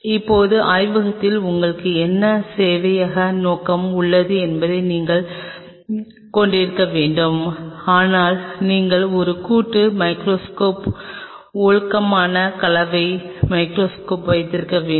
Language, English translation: Tamil, Now, you have needed to have we will what server purpose you have in the lab, but you needed to have a compound microscope decent compound microscope